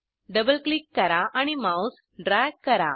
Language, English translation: Marathi, Double click and drag the mouse